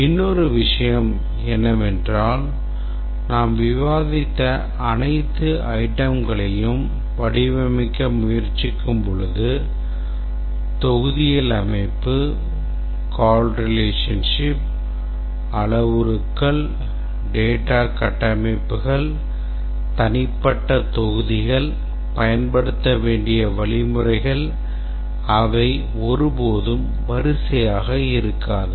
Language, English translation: Tamil, Another thing that we must keep in mind is that when we try to design all the items that we discussed, the module structure, the call relationships, parameters, data structures of the individual modules, algorithms to be used and so on